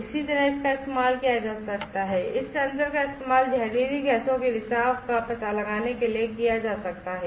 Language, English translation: Hindi, Likewise, it could be used this sensors could be used for leakage detection of toxic gases